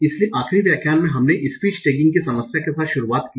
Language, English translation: Hindi, So in the last lecture we started with the problem on part of speech tagging